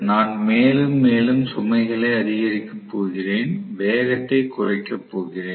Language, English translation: Tamil, So, I am going to have as I increase the load further and further, I am going to have reduction in the speed